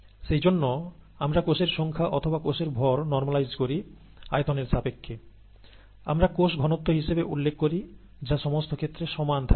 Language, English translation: Bengali, That is the reason why we normalize the cell number or the cell mass with respect to volume, we call that cell concentration, that remains the same across scales